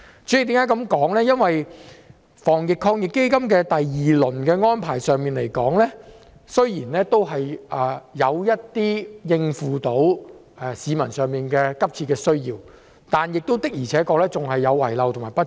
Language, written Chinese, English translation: Cantonese, 在第二輪防疫抗疫基金的安排上，雖然有部分能夠應付市民的急切需要，但的確仍有遺漏和不足。, Although some measures in the second round of the Anti - epidemic Fund AEF could meet the pressing needs of the public there were indeed some omissions and inadequacies